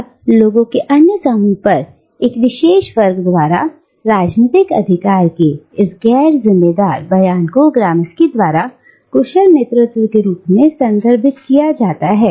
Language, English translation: Hindi, Now, this non coercive assertion of political authority by a particular class over other groups of people is referred to by Gramsci as hegemony